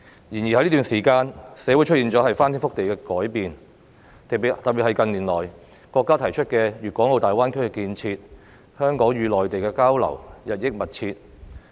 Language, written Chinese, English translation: Cantonese, 然而，在這段時間，社會出現了翻天覆地的改變，特別是國家近年提出的粵港澳大灣區建設，香港與內地的交流日益密切。, However during this period there have been drastic changes in society . In particular with the development of the Greater Bay Area Development introduced by the Country in recent years the exchanges and interaction between Hong Kong and the Mainland have become increasingly close